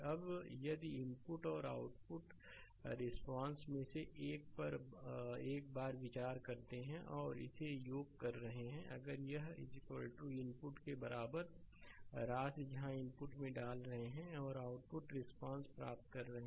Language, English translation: Hindi, Now if you consider one at a time at the input and output responses you are getting and sum it up if it is equal to that same as your sum of the inputs where together you are putting at the input and getting the output response